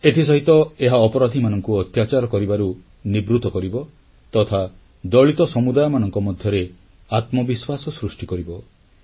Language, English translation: Odia, This will also forbid criminals from indulging in atrocities and will instill confidence among the dalit communities